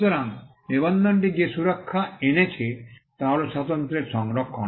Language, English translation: Bengali, So, the protection that registration brought was the preservation of the uniqueness